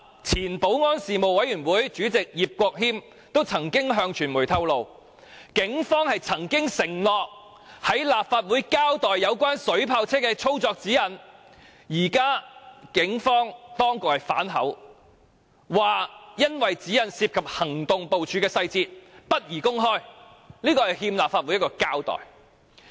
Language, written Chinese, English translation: Cantonese, 前保安事務委員會主席葉國謙便曾向傳媒透露，警方曾經承諾在立法會交代有關水炮車的操作指引，但現時當局卻反口，指有關指引涉及警方行動部署細節，不便公開，這實在是欠立法會一個交代。, IP Kwok - him the former Chairman of the Panel on Security told the media that the Police had undertaken to give an account of the operation guidelines in relation to the water cannon vehicles to the Legislative Council but the Administration had then gone back on its words by alleging that the relevant guidelines involved the Polices operational deployment details and it was inappropriate to disclose the information . As such the Administration really owes the Legislative Council an explanation